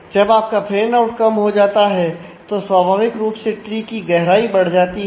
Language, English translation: Hindi, So, if your fan out get less naturally the tree has a greater depth